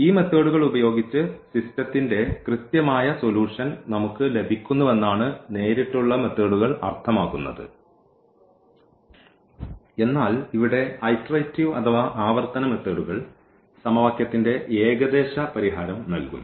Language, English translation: Malayalam, The direct methods meaning that we get actually the exact solution of the system using these techniques whereas, here the iterative methods the they give us the approximate solution of the given system of equation